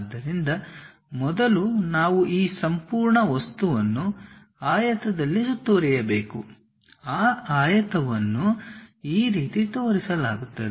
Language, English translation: Kannada, So, first we have to enclose this entire object in a rectangle, that rectangle is shown in in this way